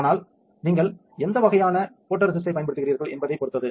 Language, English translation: Tamil, But depends on what kind of photoresist you use